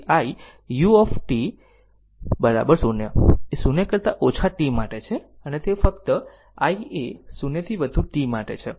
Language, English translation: Gujarati, Therefore my i u t is equal to 0 for t less than 0 and it is i for t greater than 0